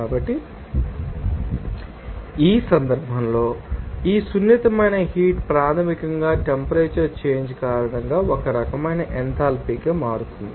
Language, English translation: Telugu, So, in this case, this sensible heat basically that one type of enthalpy change because of the temperature change